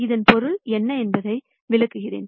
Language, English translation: Tamil, Let me explain what that means